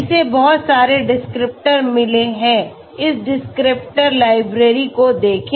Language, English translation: Hindi, It has got lot of descriptors, look at this descriptors library